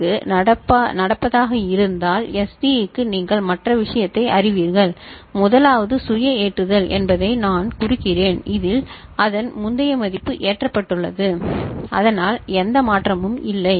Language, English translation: Tamil, So, if this is for happening for SA; for S D you know the other case you can see the first one is self loading I mean, this its previous value is loaded so that is there no change case